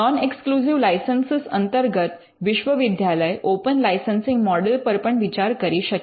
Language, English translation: Gujarati, In the non exclusive licenses one of the models that universities can explore is the open licensing model